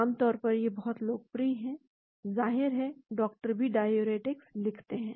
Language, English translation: Hindi, Generally, these are very, very popular of course, doctors also prescribe diuretics as well